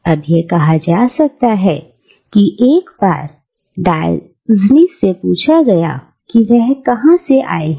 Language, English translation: Hindi, Now, it is said that once when Diogenes was asked, where he came from